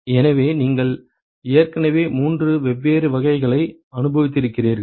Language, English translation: Tamil, So you already experienced three different types